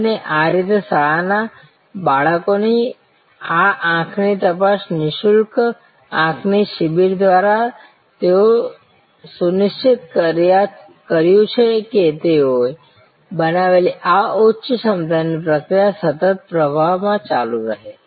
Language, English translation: Gujarati, And thereby through this eye screening of school children, free eye camps they have ensured that there is a continuous flow into this high capacity process which they had created